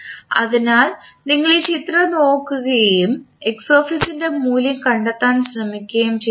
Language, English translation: Malayalam, So, if you see this figure and try to find out the value of Xs